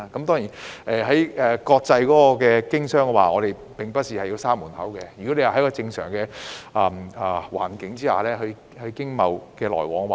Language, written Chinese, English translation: Cantonese, 在國際經商方面，我們並不是要把門關上，亦會繼續支持在正常環境下進行經貿來往。, Regarding international economic and business relations we do not intend to shut the door and will continue to support economic and trade activities under normal conditions